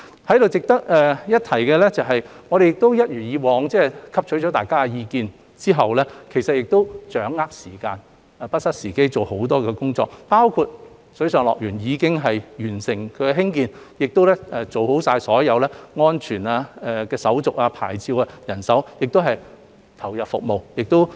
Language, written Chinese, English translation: Cantonese, 在此值得一提的是，我們也一如以往，在汲取了大家的意見後，掌握時間，不失時機，進行多項工作，包括水上樂園已經完成興建，亦做好了所有安全、牌照的手續，也安排了人手，可以投入服務。, It is worth mentioning here that as in the past after taking into account Members views we have got hold of the time and opportunity to carry out a number of tasks which include the completion of the water park construction works all the safety and licensing procedures and manpower arrangement for commencing operation